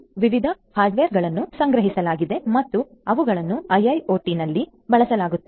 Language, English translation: Kannada, So, there are different hardware that are procured and are being used in IIoT